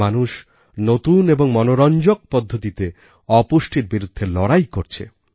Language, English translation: Bengali, People are fighting a battle against malnutrition in innovative and interesting ways